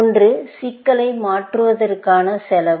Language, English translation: Tamil, One is cost of transforming a problem